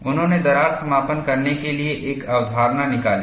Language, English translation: Hindi, He brought out a concept called crack closure